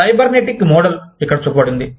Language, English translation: Telugu, The cybernetic model, has been shown here